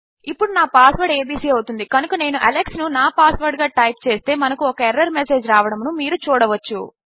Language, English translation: Telugu, Now my password is abc so if I type Alex as my password, you can see we get an incorrect error message